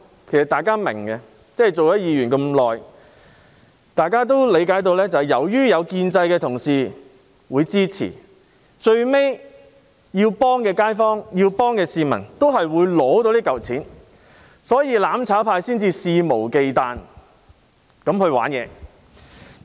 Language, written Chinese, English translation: Cantonese, 其實大家都明白，擔任議員多年，大家都理解到，由於建制派同事會支持，所以需要幫助的街坊、需要幫助的市民，最終都會得到這筆錢，所以"攬炒派"才會肆無忌憚地玩弄這些伎倆。, In fact having served as Members for many years all of us understand that given the support of Honourable colleagues of the pro - establishment camp people in the neighborhood who need help and members of the public in need will eventually get this sum of money . The mutual destruction camp hence plays these tricks unscrupulously